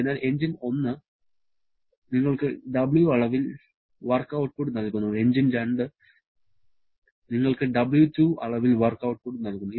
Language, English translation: Malayalam, So, engine 1 is giving you W amount of work output, engine 2 is giving W2 amount of work output